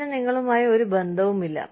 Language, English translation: Malayalam, It has nothing to do with you